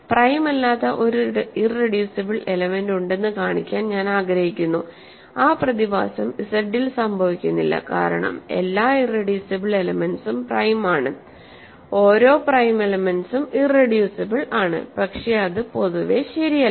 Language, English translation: Malayalam, So, in this I want to introduce, I want to actually show that there is an irreducible element that is not prime which that phenomenon does not happen in Z because every irreducible element is prime every prime element is irreducible, but that is not in general true